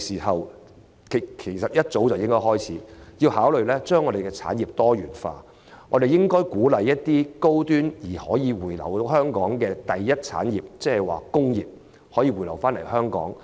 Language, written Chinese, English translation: Cantonese, 香港早應設法讓產業多元化，鼓勵高端並可回流香港的第一產業——即工業——回流香港。, It is past time for Hong Kong to find ways to diversify its industries and incentivize the high - end operators of the primary industry to return to Hong Kong if it is feasible to do so